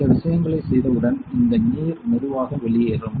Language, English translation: Tamil, Once those things are done these things these water will slowly come out